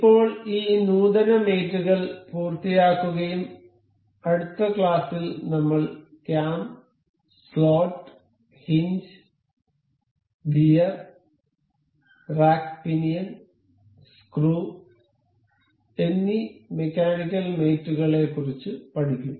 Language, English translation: Malayalam, So, now, we have completed this advanced mates and in the next lecture, we will go about learning this mechanical mates that are cam, slot, hinge, gear, rack pinion, screw and we will we already have